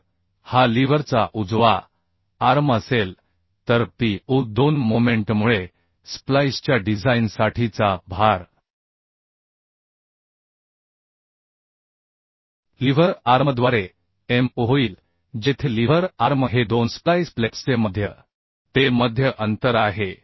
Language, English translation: Marathi, So Pu2 the load for design of splice due to moment will become Mu by lever arm where lever arm is the centre to centre distance of the two splice plates right